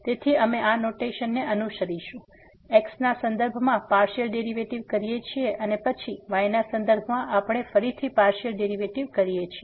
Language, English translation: Gujarati, So, we will be following this notation the partial derivative with respect to and then we take once again the partial derivative with respect to